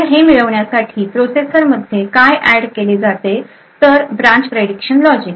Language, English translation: Marathi, So, in order to achieve this What is added to the processor is something known as a branch prediction logic